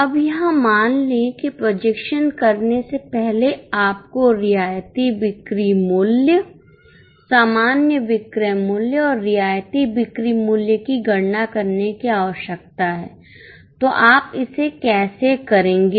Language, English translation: Hindi, So, when you divide you will have to multiply by concessional selling price normal selling price and concessional selling price how will you do it